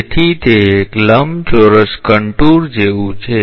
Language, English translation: Gujarati, So, it is like a rectangular contour